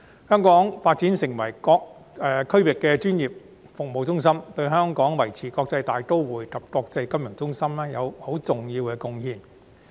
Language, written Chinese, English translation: Cantonese, 香港發展成為區域專業服務中心，對香港維持國際大都會及國際金融中心有很重要的貢獻。, Developing Hong Kong into a regional professional services hub will make an important contribution to maintaining Hong Kongs status as an international metropolitan city and financial centre